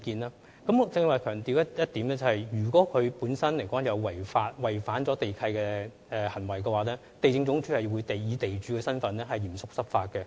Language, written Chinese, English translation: Cantonese, 我剛才曾強調，如發現有違反地契的行為，地政總署會以地主的身份嚴肅執法。, As I emphasized just now if breaches of land lease conditions are found LandsD will seriously enforce the law in the capacity as the land owner